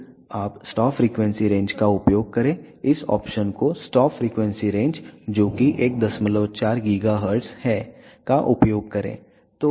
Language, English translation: Hindi, Then you find stop frequency range use this option stop give the stop frequency range that is 1